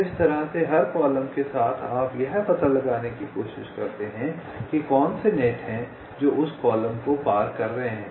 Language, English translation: Hindi, ok, so in this way, along every column you try to find out which are the nets which are crossing that column